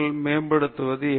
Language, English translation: Tamil, How to improve creativity